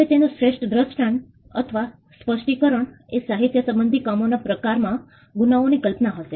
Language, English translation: Gujarati, Now the best instance would be, or 1 illustration would be the genre in literary works crime fiction